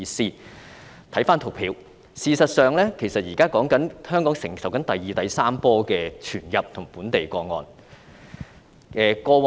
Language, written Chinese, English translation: Cantonese, 參看圖表，事實上，香港現時正承受第二、第三波的傳入及本地個案。, As shown by the tables now Hong Kong is in fact enduring the second and third waves of imported and local cases . Previously the cases in January were imported from the Mainland